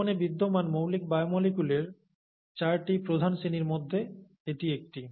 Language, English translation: Bengali, And that is one of the four major classes of basic biomolecules that are present in life